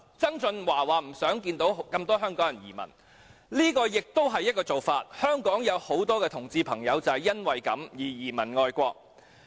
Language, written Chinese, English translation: Cantonese, 曾俊華說不想看到有這麼多香港人移民，這亦是一個做法——香港有很多同志朋友就是因此移民外國。, John TSANG said he does not want to see so many Hong Kong people emigrating . This is also one way―a lot of homosexual friends in Hong Kong have moved to foreign countries for this reason